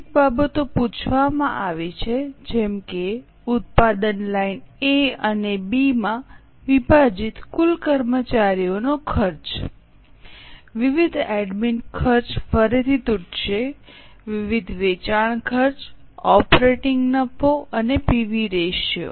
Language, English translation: Gujarati, A few things have been asked like for example total employee cost broken into product line A and B, variable admin expenses again broken, variable selling expenses, operating profit and PV ratio